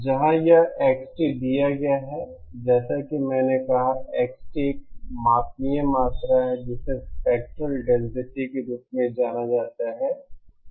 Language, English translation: Hindi, Éwhere this XT is given asÉas I said X of T is a measurable quantity known as the spectral density